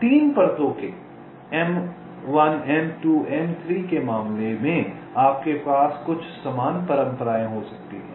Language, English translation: Hindi, ok, in case of three layers m one, m two, m three you can have some similar conventions